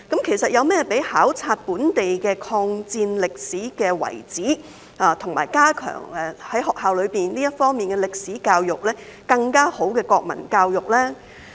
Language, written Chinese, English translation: Cantonese, 其實，有甚麼比考察本地的抗戰歷史遺址，以及在學校內加強這方面的歷史教育，更加好的國民教育呢？, In fact is there any better national education than to visit local historical sites of the War of Resistance and to enhance history education in schools?